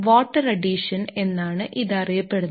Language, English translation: Malayalam, So, that is what is known as water addition